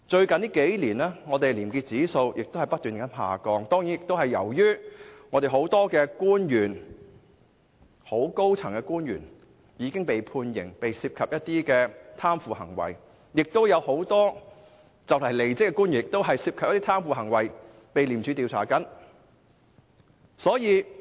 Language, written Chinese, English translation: Cantonese, 近年，本港的廉潔指數不斷下降，這當然是由於很多高層官員因涉及貪腐行為而被判刑，亦有很多快將離職的官員因涉嫌貪腐，正被廉政公署調查。, The index of probity has been declining in recent years . Certainly this is due to many senior government officials being sentenced to imprisonment for their involvement in acts of corruption . There are also many departing government official currently being investigated by the Independent Commission Against Corruption for their suspected involvement in corruption